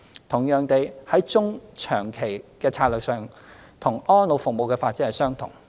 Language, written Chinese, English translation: Cantonese, 同樣地，在中、長期策略上，與安老服務發展相同。, Similarly as for the strategy in the medium - to - long term it is also similar to the development of elderly care services